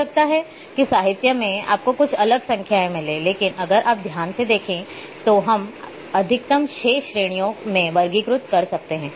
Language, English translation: Hindi, Maybe in a literature you may find some little different numbers, but if you look carefully you would that we can maximum categorize into 6 categories